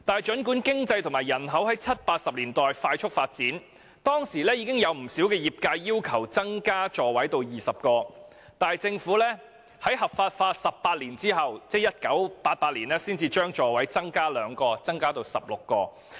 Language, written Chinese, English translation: Cantonese, 儘管經濟和人口在七八十年代快速發展，而當時亦已有不少業界要求把座位數目增加至20個，但政府卻是在合法化18年後，才將座位數目增加2個至16個。, With rapid economic development and population growth in the 1970s and 1980s many members of the trade proposed to increase the seating capacity of light buses to 20 but 18 years after legalization ie . in 1988 the Government merely increased the number by 2 to 16